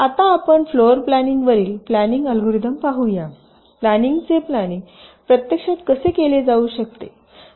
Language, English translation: Marathi, next we shall be seeing some of the floor planning algorithms, how floor planning can actually be carried out